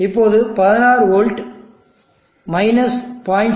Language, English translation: Tamil, Now 16v 0